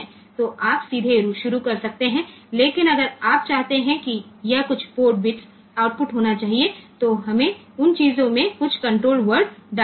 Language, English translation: Hindi, So, you can start directly, but if you want that this is this has to be some of the port bits should be output, then we have to put some control word in those things